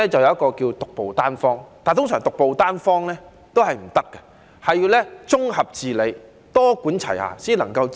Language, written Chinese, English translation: Cantonese, 有一個診治方法稱為"獨步單方"，但通常都是不可行的，還是要綜合治理、多管齊下，才能把病醫好。, Although there is a treatment method called cure - all formula it is usually ineffective . It requires a consolidated treatment and multi - pronged approach to cure the patient